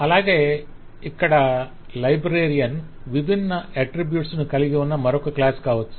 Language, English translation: Telugu, librarian is another class which has different attributes, and so on